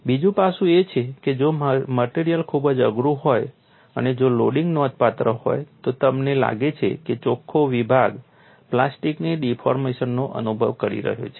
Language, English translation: Gujarati, Another aspect is, if the material is very tough and also if a loading is quite significant, you may find the net section is experiencing plastic deformation